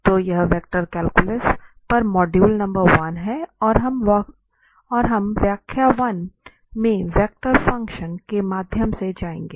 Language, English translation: Hindi, So, this is module number 1 on Vector Calculus and we will go through the vector functions in lecture 1